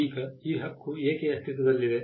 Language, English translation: Kannada, Now, why does this right exist